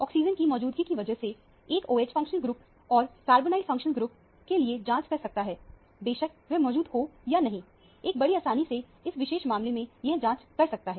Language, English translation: Hindi, Because of the presence of oxygen, one should check for the OH functional group and carbonyl functional group whether it is present or absent; one can easily check in this particular case